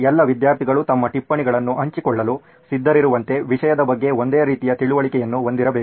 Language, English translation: Kannada, As in all the students or students who are willing to share their notes should have the same understanding of the topic